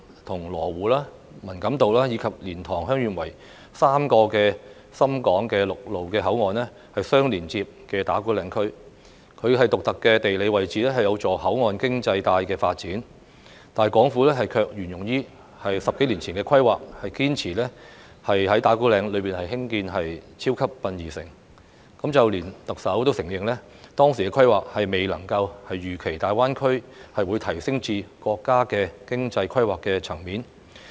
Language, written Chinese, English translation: Cantonese, 與羅湖、文錦渡，以及蓮塘/香園圍3個深港陸路口岸相連接的打鼓嶺區，其獨特的地理位置有助口岸經濟帶發展，但港府卻沿用10多年前的規劃，堅持在打鼓嶺區內興建"超級殯儀城"，連特首也承認，當時的規劃未能預期大灣區會提升至國家經濟規劃的層面。, Ta Kwu Ling area which is connected to the three ShenzhenHong Kong land boundary control points at Lo Wu Man Kam To and LiantangHeung Yuen Wai has a unique geographical location that is conducive to the development of a port economy belt . However following the planning that was prepared a decade ago the Government insisted on building the large - scale integrated funeral facilities in Ta Kwu Ling area . Even the Chief Executive admitted that at the time when the project was planned none of them could foresee that the development of GBA would be escalated to the level of state economic plan